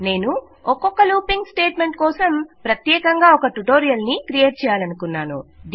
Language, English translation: Telugu, I have decided to create seperate tutorials for each looping statement